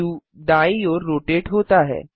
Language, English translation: Hindi, The view rotates to the right